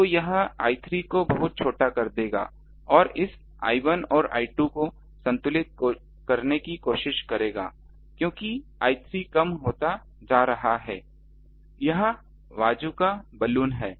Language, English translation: Hindi, So, that will make I 3 very small and that will try to balance this I 1 and I 2 because I 3 is becoming reduce; this is the Bazooka Balun